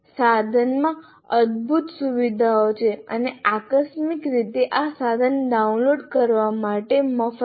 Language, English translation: Gujarati, There are wonderful features in the tool and incidentally this tool is free to download